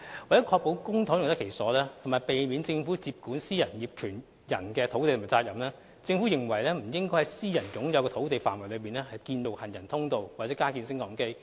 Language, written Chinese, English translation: Cantonese, 為了確保公帑用得其所及避免政府接管私人業權土地及責任，政府認為不應在私人擁有的土地範圍內，建造行人通道或加建升降機。, To ensure the proper use of public funds and avoid taking over privately - owned lands and the related responsibilities the Government considers it inappropriate to construct walkways or retrofit lifts within the boundaries of privately - owned lands